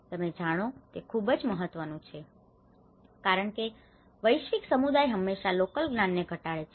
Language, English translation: Gujarati, You know this is very important because the scientific community always undermines the local knowledge